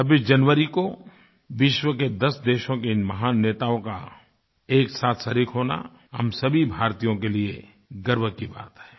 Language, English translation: Hindi, On 26th January the arrival of great leaders of 10 nations of the world as a unit is a matter of pride for all Indians